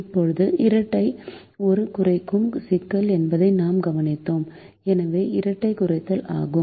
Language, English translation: Tamil, now we observed that the dual is a minimization problem, so the dual is minimization